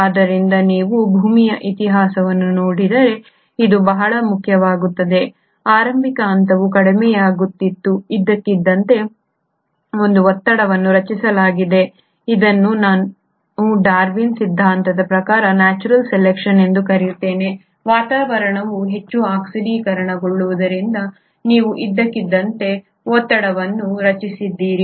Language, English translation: Kannada, So if you were to look at the history of earth, this becomes very important; the initial phase is reducing, suddenly there is a pressure created which is again what I will call as natural selection in terms of Darwin’s theory, you suddenly have a pressure created because the atmosphere becomes highly oxidised